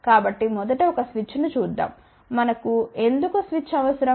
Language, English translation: Telugu, So, first of all let just look at a switch, why we need a switch